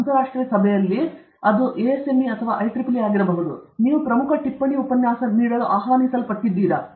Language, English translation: Kannada, In an international conference, in an international meeting, that is ASME or IEEE, are you invited to give a key note lecture